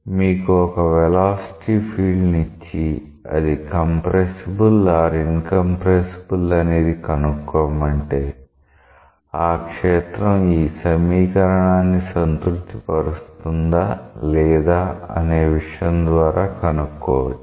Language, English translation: Telugu, So, if you are given a velocity field and you are asked to check whether it is compressible or incompressible flow, then it is it is it is possible to check by looking into the fact whether it is satisfying this equation or not